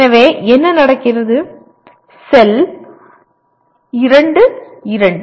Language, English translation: Tamil, So what happens, the cell is 2, 2